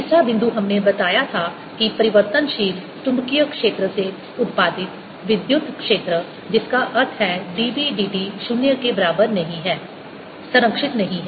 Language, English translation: Hindi, third point we made was that the electric field produced by changing magnetic field that means d b, d t, not equal to zero is not conservative